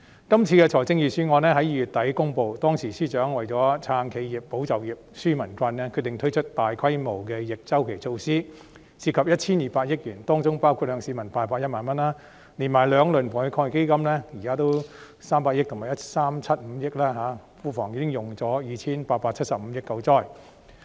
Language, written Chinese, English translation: Cantonese, 今次的財政預算案在2月底公布，當時司長為了"撐企業、保就業、紓民困"，決定推出大規模的逆周期措施，涉及 1,200 億元，當中包括向市民派發1萬元，連同兩輪防疫抗疫基金分別投入的300億元和 1,375 億元，現時庫房已經花去 2,875 億元救災。, The Budget this time around was announced in late February . For the purpose of supporting enterprises safeguarding jobs and relieving peoples burden the Financial Secretary decided to implement counter - cyclical measures of a massive scale worth over 120 billion including a cash payout of 10,000 to members of the public . This together with the 30 billion and 137.5 billion committed under the two rounds of Anti - epidemic Fund respectively means that 287.5 billion from the Treasury have been spent on disaster relief